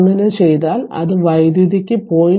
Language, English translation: Malayalam, If you do so it will be 0